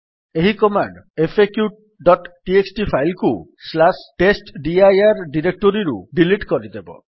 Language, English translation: Odia, This command will remove the file faq.txt from the /testdir directory